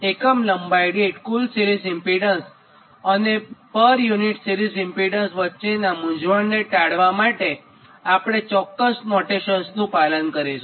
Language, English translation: Gujarati, so to avoid the confusion between total series impedance and series impedance per unit length